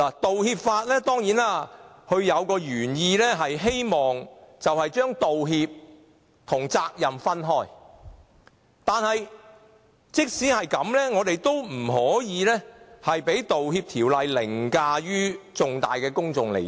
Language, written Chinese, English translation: Cantonese, 當然，道歉法的原意是希望將道歉和責任分開，但即使如此，我們也不可以讓《條例草案》凌駕重大的公眾利益。, Of course the original intent of apology legislation is to separate apologies from liabilities . But still we cannot place the Bill above major public interests